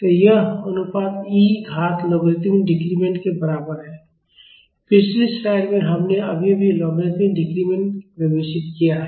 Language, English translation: Hindi, So, this ratio is equal to e to the power logarithmic decrement; we just defined logarithmic decrement in the previous slide